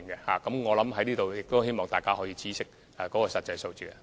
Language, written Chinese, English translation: Cantonese, 所以，我希望大家可以知悉實際數字。, That is why I would rather let Members know the actual numbers